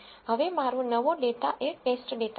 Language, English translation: Gujarati, Now my new data is the test data